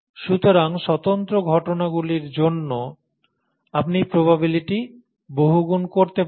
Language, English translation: Bengali, Independent events, you can multiply the probabilities